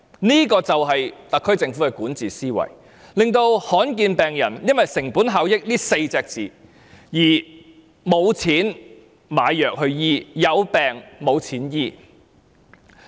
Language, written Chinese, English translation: Cantonese, 這個就是特區政府的管治思維，令罕見疾病患者因為"成本效益"這4個字，而沒有錢買藥物醫治。, This is the administrative mindset of the SAR Government . Rare disease patients cannot afford to buy the drugs to treat their diseases because of the word cost - effectiveness